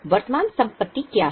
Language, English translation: Hindi, What are the current assets